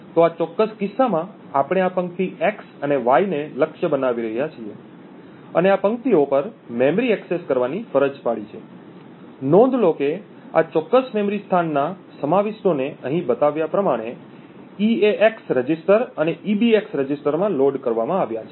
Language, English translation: Gujarati, So, in this particular case we are targeting this row x and y and forcing memory accesses to be done on these rows, note that the contents of this particular memory location is loaded into the eax register and ebx register as shown over here